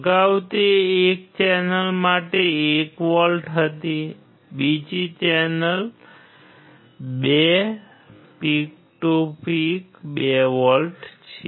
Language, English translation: Gujarati, Earlier it was 1 volt for one channel, second channel is 2 volts peak to peak